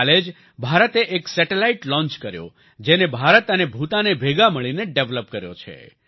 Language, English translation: Gujarati, Just yesterday, India launched a satellite, which has been jointly developed by India and Bhutan